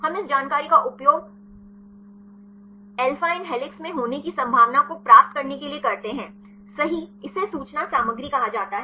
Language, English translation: Hindi, We use this information right to get the probability of alanine to be in alpha helix this is called information content